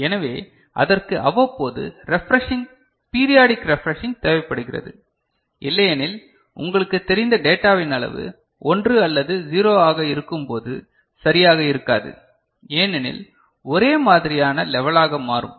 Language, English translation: Tamil, So, it requires periodic refreshing, otherwise the sanity of the data the data that is there will not be properly you know, understood, when it is a 1 or a 0, because the level will become similar